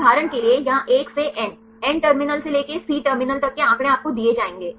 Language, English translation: Hindi, For example, here these starting from the 1 to n, N terminal to the C terminal will you give the data